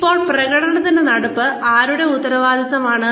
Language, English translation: Malayalam, Now, whose responsibility is the management of performance